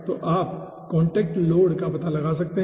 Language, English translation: Hindi, so you can find out contact load